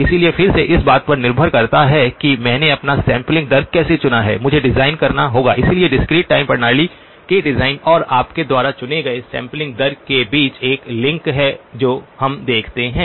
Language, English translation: Hindi, So again depending on how I have chosen my sampling rate, I would have to design so there is a link between the design of the discrete time system and the sampling rate that you have chosen that is the second observation that we make